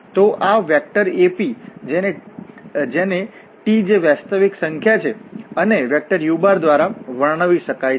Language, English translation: Gujarati, So, this is the vector AP which can be described by some t is a real number and this vector u